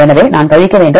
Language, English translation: Tamil, So, I have to subtract